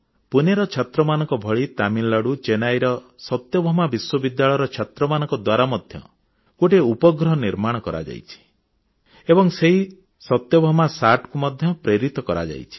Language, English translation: Odia, On similar lines as achieved by these Pune students, the students of Satyabhama University of Chennai in Tamil Nadu also created their satellite; and their SathyabamaSAT has also been launched